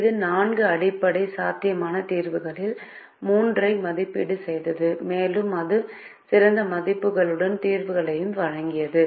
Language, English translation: Tamil, it evaluated three out of the four basic feasible solution, and it also gave solutions with better values